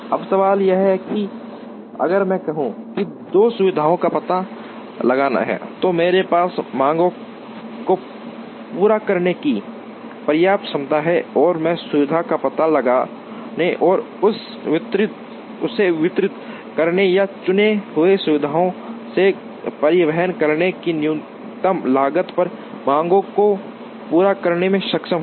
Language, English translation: Hindi, Now, the question is, if I want to locate say 2 facilities such that, I have enough capacity to meet the demands and I am able to meet the demands at minimum cost of locating the facility and distributing it or transporting it from the chosen facilities to the demand points